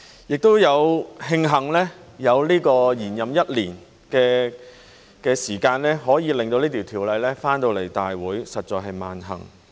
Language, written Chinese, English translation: Cantonese, 亦慶幸有延任一年的時間，可以令到這法案回來大會，實在是萬幸。, Luckily with the extension of our term of office for one year this Bill can return to this Council and this is indeed most fortunate